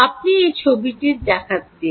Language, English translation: Bengali, let me show you this picture